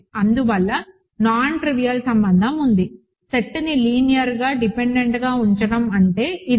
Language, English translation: Telugu, Hence, there exist a nontrivial relation; this is what it means for the set to be linearly dependent